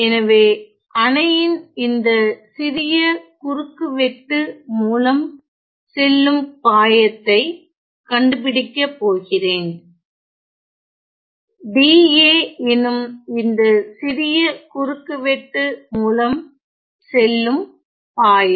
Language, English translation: Tamil, So, I am going to find the flux the flux through a small cross section of the dam, the flux through a small cross section the flux through the small cross section dA of the dam ok